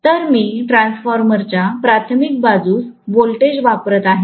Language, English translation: Marathi, So, that is the voltage that I am applying on the primary side of the transformer